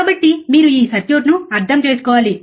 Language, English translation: Telugu, So, you understand this circuit, right